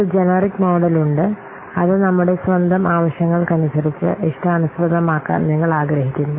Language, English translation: Malayalam, We have to a generic model is there and why we want to customize it according to our own needs